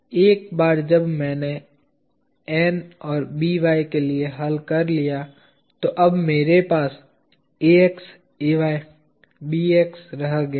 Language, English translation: Hindi, Once I have solved for N and By, I am now left with Ax, Ay, Bx